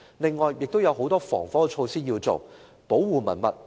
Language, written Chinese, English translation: Cantonese, 此外，亦須採取很多防火措施，以保護文物。, Fire precautions should also be taken to protect relics